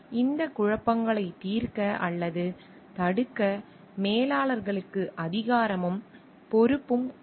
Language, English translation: Tamil, Then the managers have the authority and responsibility, either to result or prevent this conflicts